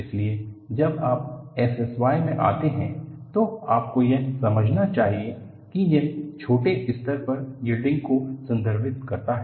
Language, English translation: Hindi, So, when you come across S S Y, you should understand that it refers to Small Scale Yielding